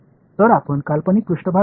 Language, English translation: Marathi, So, let us take a hypothetical surface